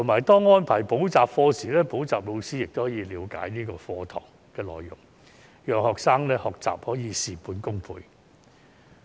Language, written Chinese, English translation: Cantonese, 當安排補習課時，補習老師亦可以了解課堂內容，讓學生的學習可以事半功倍。, Tutors can also learn about the contents of the lessons when arranging tutorial lessons making studies more efficient and effective